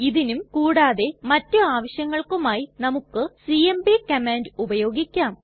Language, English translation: Malayalam, For these and many other purposes we can use the cmp command